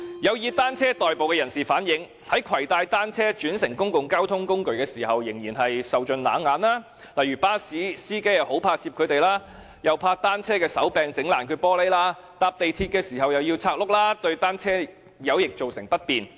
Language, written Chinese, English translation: Cantonese, 有以單車代步的人士反映，在攜帶單車轉乘公共交通工具時仍然受盡冷眼，例如巴士司機很怕接載他們，怕單車的手柄弄破玻璃窗；乘搭港鐵時又要把車輪拆除，對他們造成不便。, People who commute by bicycles have relayed that they are still given cold shoulders when they bring their bicycles onboard public transport . For example bus drivers are reluctant to carry them and are afraid that bicycle handlebars will damage the glass windows . Cyclists need to remove the front wheels riding on MTR which is quite inconvenient to them